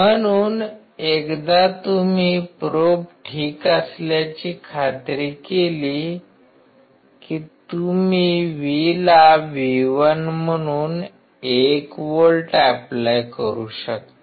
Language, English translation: Marathi, So, once you make sure that the probes are ok, then you can apply 1 volt to the V as V1